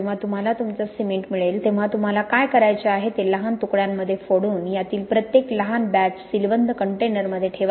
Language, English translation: Marathi, When you do get your cement, what you want to do is to break it up into smaller batches and put each of these smaller batches in sealed containers